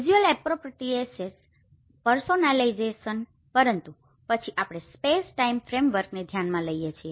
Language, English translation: Gujarati, Visual appropriateness, personalization but then as we consider the space time framework